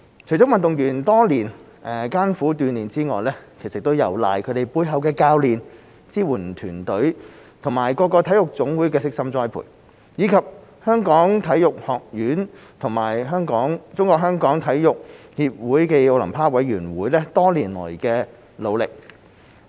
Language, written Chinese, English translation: Cantonese, 除了運動員多年來艱苦鍛鍊之外，亦有賴他們背後的教練、支援團隊和各體育總會的悉心栽培，以及香港體育學院和中國香港體育協會暨奧林匹克委員會多年來的努力。, In addition to the athletes laborious training over the years the coaches and support teams behind them the careful cultivation of various national sports associations NSAs as well as years of hard work of the Hong Kong Sports Institute HKSI and the Sports Federation Olympic Committee of Hong Kong China SFOC are crucial